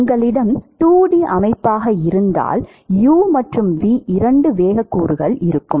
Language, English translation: Tamil, And you have two components if it is a 2D system you have, two velocity components u and v right